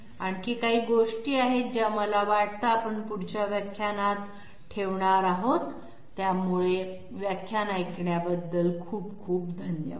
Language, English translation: Marathi, There are some other things which I think we will be putting in to the next lecture, so thank you very much thank you